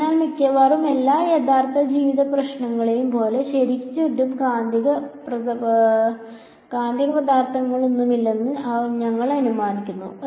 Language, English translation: Malayalam, So, we are assuming that as with almost all real life problems the there are no magnetic materials around ok